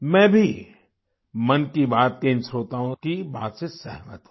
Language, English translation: Hindi, I too agree with this view of these listeners of 'Mann Ki Baat'